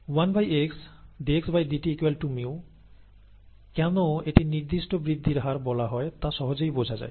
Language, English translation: Bengali, And one by x dxdt equals mu, it is easy to see why it is called the specific growth rate